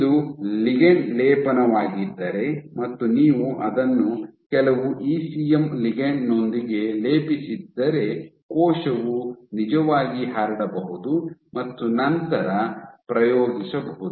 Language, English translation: Kannada, So, the top if you had coated it with some ECM ligand then the cell can actually spread and then exert